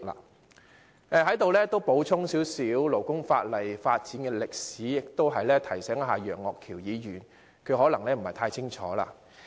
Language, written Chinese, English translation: Cantonese, 我在此亦稍微補充勞工法例的發展歷史，同時亦提醒楊岳橋議員，他可能不太清楚。, Here let me provide some supplementary information on the history of the devlepment of the relevant labour legislation and in the meantime I wish to remind Mr Alvin YEUNG of it for he may not know it too well